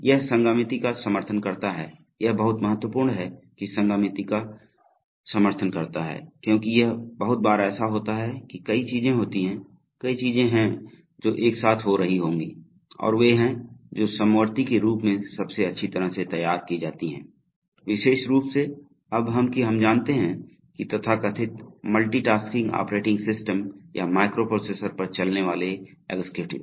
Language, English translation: Hindi, And it supports concurrency, that is very important, that it supports concurrency because it very often happens that there are, there are many things, several things which will be taking place together and they which are, which are best modeled as concurrent and especially now that we have you know this so called multitasking operating systems or executives running on microprocessor